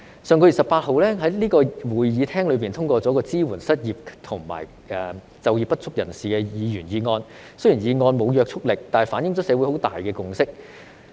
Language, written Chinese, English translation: Cantonese, 上月18日，在這個會議廳內通過了一項"支援失業及就業不足人士"的議員議案，雖然議案沒有約束力，但反映出社會有很大的共識。, On the 18 of last month a Members motion on Supporting the unemployed and the underemployed was passed in this Chamber . Although the motion is not binding it reflects the consensus of the society